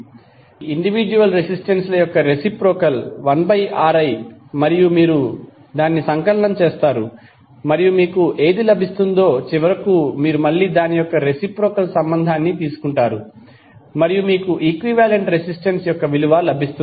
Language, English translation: Telugu, So reciprocal of individual resistances is 1 upon Ri and then you will sum up and whatever you will get finally you will take again the reciprocal of same and you will get the value of equivalent resistance